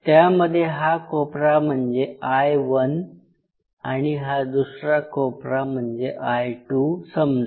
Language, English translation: Marathi, And we talked about either this corner where you have either I 1 or this corner I 2